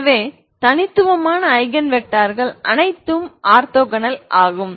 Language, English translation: Tamil, So distinct Eigen vectors are all orthogonal, what you mean by orthogonal